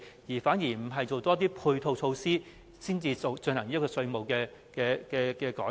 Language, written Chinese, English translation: Cantonese, 還是應該先多做配套措施，再實施新稅務安排？, Or should we focus on the ancillary facilities first before implementing the new tax regime?